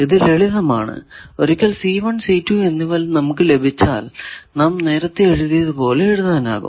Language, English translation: Malayalam, So, this is simple that once we get c1 and c2 we can write as we written o